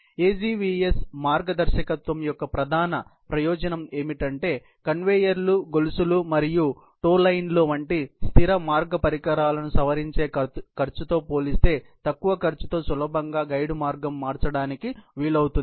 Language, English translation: Telugu, The main advantage of the AGVS guidance is that the guide path that can be changed easily, at low cost, compared with the cost of modifying fixed path equipment, such as conveyors, chains and tow lines